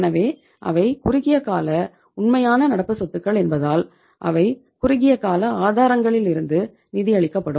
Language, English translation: Tamil, So since they are short term real current assets it means they will be funded from the short term sources